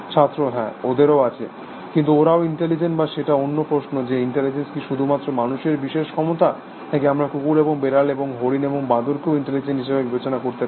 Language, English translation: Bengali, They have, but are they also intelligent or that is another question, is intelligence the prerogative of human beings, only or do we allow dogs and cats, and deer and monkey, to be intelligent or not